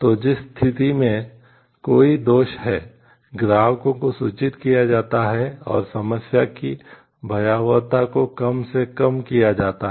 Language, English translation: Hindi, So, the our situation there is a flaw customers are informed and the magnitude of the problem is minimized